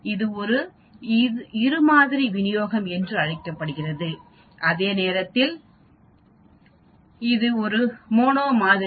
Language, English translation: Tamil, So you have 2 modes this is called a bi model distribution whereas this is a mono model